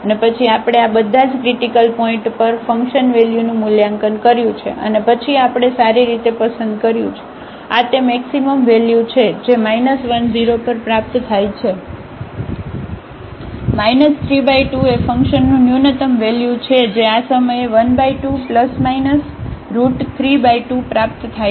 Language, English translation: Gujarati, And, then we have evaluated the function value at all these critical points and then we have selected well this is 3 is the maximum value which is attained at minus 1 0 minus 3 by 2 is the minimum value of the function which is attained at this point half plus minus 3 by 2